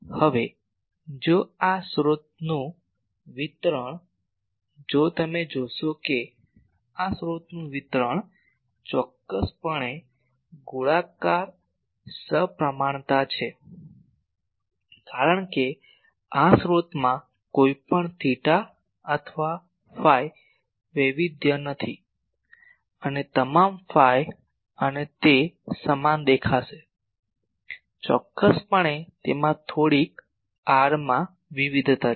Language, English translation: Gujarati, Now, So, this source distribution if we you see this source distribution is definitely spherically symmetry because this source does not have any theta or phi variation in all theta and phi it will be looking same definitely it has some r variation